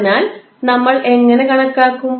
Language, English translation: Malayalam, So, how we will calculate